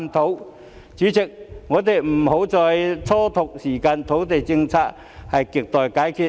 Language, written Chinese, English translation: Cantonese, 代理主席，我們不要再蹉跎時間，土地政策是亟待解決。, Deputy President we must not waste any more time and the housing policy has to be settled urgently